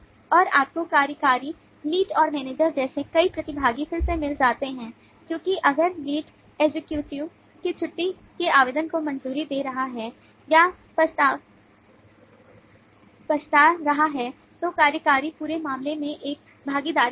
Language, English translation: Hindi, and you also find lot of participants like executive lead and manager again, because if the lead is approving or regretting the leave application of an executive, then the executive is a participant in the whole thing